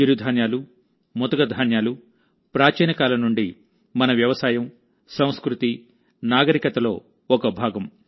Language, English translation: Telugu, Millets, coarse grains, have been a part of our Agriculture, Culture and Civilization since ancient times